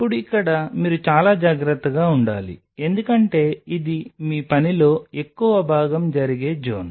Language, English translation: Telugu, Now here you have to be really careful because this is the zone where most of your work will be happening